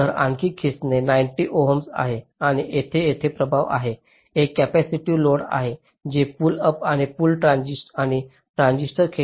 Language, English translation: Marathi, so pull down is six, ninety ohm, and here there is a effect, here there is a capacitive load which indicates the sizes of the pull up and pull down transistors